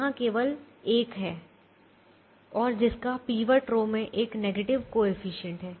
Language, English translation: Hindi, there is only one and it has an negative coefficient in the pivot row